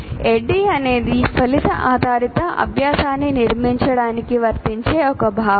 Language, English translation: Telugu, And ADI, this ADD concept can be applied for constructing outcome based learning